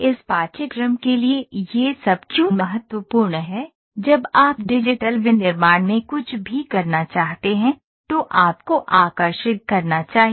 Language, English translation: Hindi, Why is this all important for this course is, in when you want to do anything in digital manufacturing, you are supposed to draw